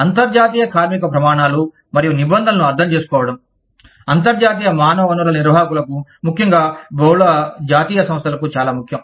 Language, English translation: Telugu, Understanding international labor standards and regulations, is very important for, international human resource managers, especially in, multi national enterprises